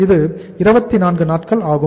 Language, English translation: Tamil, This is the 24 days